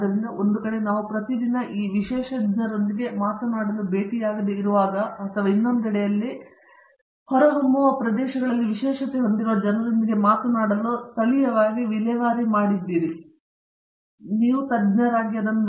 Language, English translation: Kannada, So, on one side when we do not get to talk to or meet with this specialist on daily basis, on the other side, you have a specialist that you were disposal locally where you can talk to people with a specialties in emerging areas of